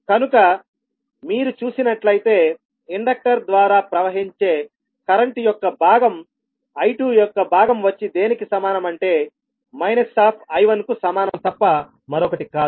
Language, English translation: Telugu, So, if you see that the component of current flowing through the inductor the component of I2 will be nothing but equal to minus of I1